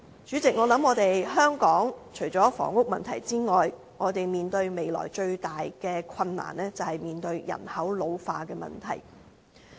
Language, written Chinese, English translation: Cantonese, 主席，香港除了房屋問題之外，我們未來面對的最大困難，便是人口老化的問題。, President apart from the housing problem another major challenge for Hong Kong in the future is population ageing